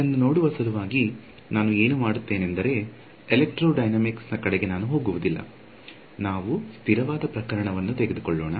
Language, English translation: Kannada, So, in order to look at this, there are what I will do is we will not even go into electrodynamics, we will just take a static case